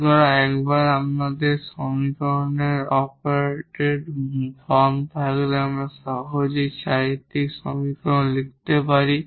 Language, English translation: Bengali, So, once we have the operated form operated form of the equation we can easily write down the characteristic equation, so or the auxiliary equation